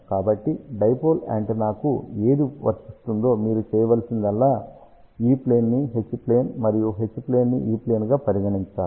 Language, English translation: Telugu, So, whatever is applicable for dipole antenna, all you have to do it is make E plane as H plane and H plane as E plane